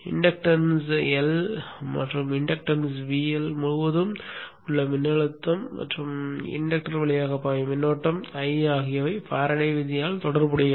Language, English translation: Tamil, The inductance L and the voltage across the inductance VL and the current I which is flowing through the inductor are related by the Faraday's law